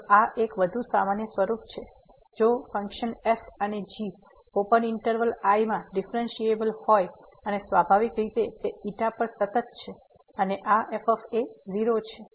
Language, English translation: Gujarati, So, this is a more general form this if and are two functions differentiable on open interval and naturally they are also continuous on the containing this and this is